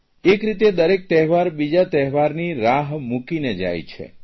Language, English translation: Gujarati, In a way one festival leaves us waiting for another